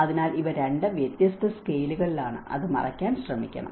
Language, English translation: Malayalam, So, these are two different scales should try to cover that